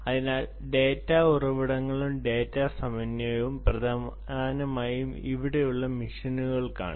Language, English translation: Malayalam, ok, so data sources and data syncs are essentially machines